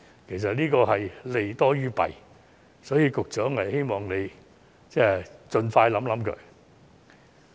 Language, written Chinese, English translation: Cantonese, 其實，這項建議是利多於弊的，希望局長可以盡快考慮。, The merits of this suggestion indeed outweigh its disadvantages so I hope the Secretary can give it consideration expeditiously